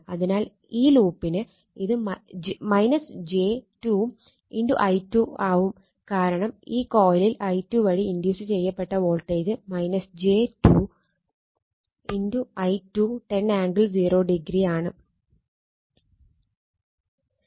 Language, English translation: Malayalam, So, it will be for this loop it will be minus j 2 into your i 2 right, because in this coil voltage induced due to i 2, it will be minus j 2 into i 2 that is 10 angle 0 right